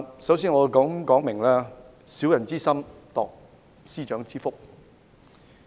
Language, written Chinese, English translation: Cantonese, 首先，我認為有人"以小人之心度司長之腹"。, First of all I think that someone gauges the heart of the Secretary for Justice with his own mean measure